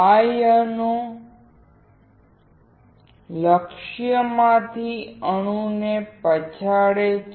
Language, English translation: Gujarati, Ions knock the atom from the target